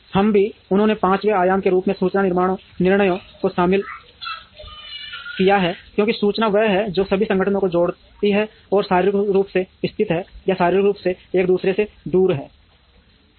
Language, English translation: Hindi, We also, they have also included information decisions as the fifth dimension, because information is the one that connects all the organizations, which are physically located, or physically away from each other